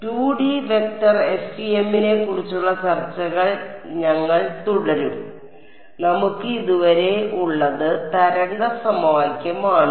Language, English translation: Malayalam, So, we will continue with our discussion of 2D vector FEM and what we have so far is the wave equation right